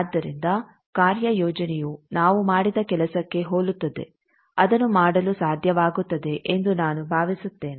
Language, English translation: Kannada, So, assignment will be similar to what we have done, I think will be able to do it